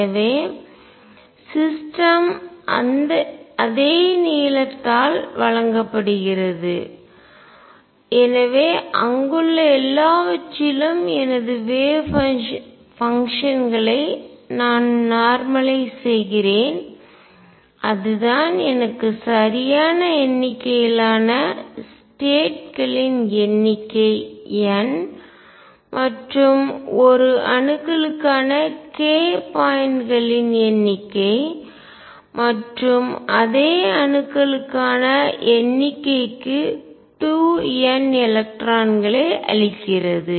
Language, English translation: Tamil, So, the system is given by that length and then therefore, I normalize all my wave functions in everything over there and that is what gives me the correct number of states n number of k points over for an atoms and 2 n electrons for the same number of atoms